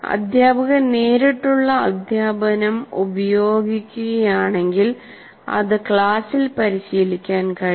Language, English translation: Malayalam, And in direct teaching, if you use direct, if the teacher uses direct teaching, it can be practiced in the class